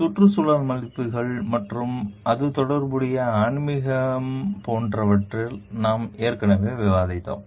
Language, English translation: Tamil, We have already discussed it in like environmental values and spirituality related to it